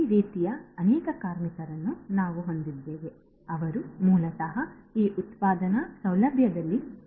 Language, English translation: Kannada, And we have many such workers like this who are basically doing the work over here in this manufacturing facility